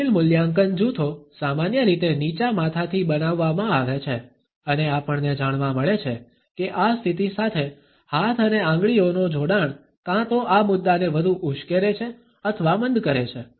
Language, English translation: Gujarati, Critical evaluation clusters are normally made with the head down and we find that the association of hand and fingers with this position either further aggravates or dilutes these stands